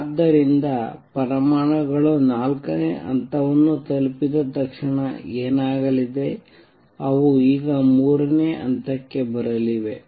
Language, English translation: Kannada, So, what is going to happen as soon as the atoms reach level 4, they going to come now the level 3